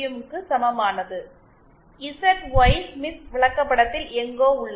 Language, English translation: Tamil, 0 is somewhere here on this ZY Smith chart